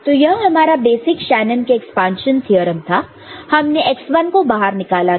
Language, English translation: Hindi, So, this was our the basic Shanon’s expansion theorem